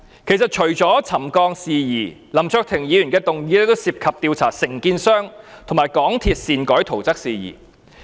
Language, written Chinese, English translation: Cantonese, 其實，除了有關沉降的事宜，林卓廷議員的議案亦涉及調查承建商和港鐵公司擅改圖則的事宜。, In fact apart from matters relating to settlement Mr LAM Cheuk - tings motion also covers investigation into matters relating to the alteration of drawings by the contractor and MTRCL without permission